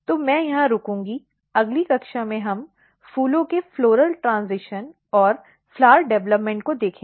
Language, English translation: Hindi, So, I will stop here in next class we will look floral transition and flower development